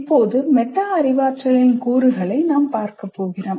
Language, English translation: Tamil, Now we look at the elements of metacognition